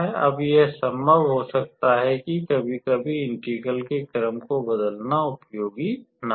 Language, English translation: Hindi, Now, it may be possible that sometimes changing the order of integration may not be that useful